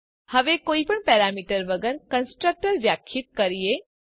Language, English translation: Gujarati, Now let us define a constructor with no parameter